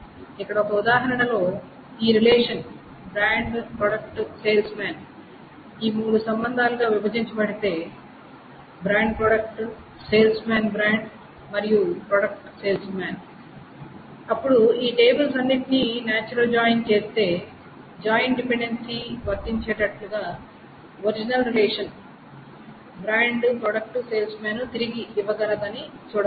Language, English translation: Telugu, So, here in this example, if this brand product salesman has been broken up into these three relations, brand products, salesman, then one can see that the natural join of all of these tables together gives back the original relation brand product salesman such that the joint dependency is satisfied